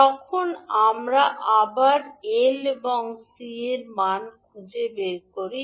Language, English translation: Bengali, You can simply get the value of L as 0